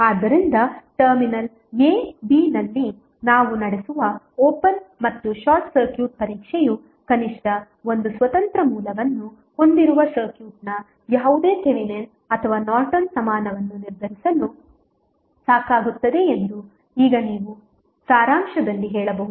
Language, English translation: Kannada, So, now you can say in summary that the open and short circuit test which we carry out at the terminal a, b are sufficient to determine any Thevenin or Norton equivalent of the circuit which contains at least one independent source